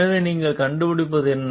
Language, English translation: Tamil, So, what you find